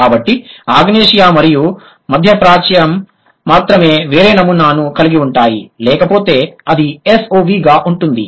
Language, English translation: Telugu, So, only the Southeast Asia and then the Middle East, they have a different pattern, but otherwise it is SOV